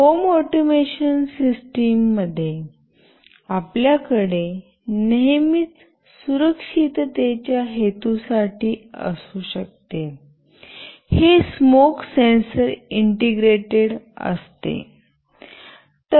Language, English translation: Marathi, In an home automation system, you can always have for security purpose, this smoke sensor integrated